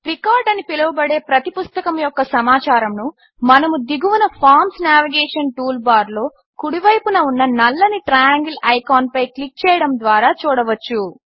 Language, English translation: Telugu, We can also go to each books information, otherwise called record,by clicking on the black triangle icon that points to the right, in the Forms Navigation toolbar at the bottom